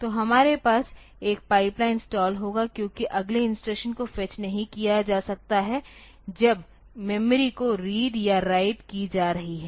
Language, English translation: Hindi, So, we will have a pipeline stall because the next instruction cannot be fetched while the memory is being read or written